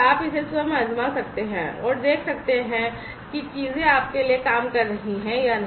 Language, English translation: Hindi, So, you can try it out yourselves, and see whether things are working for you or, not